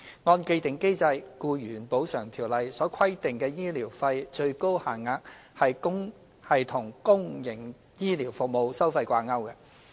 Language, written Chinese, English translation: Cantonese, 按既定機制，《僱員補償條例》所規定的醫療費最高限額是與公營醫療服務收費掛鈎。, According to the established mechanism the maximum rates of medical expenses under the Ordinance are linked to public health care service fees and charges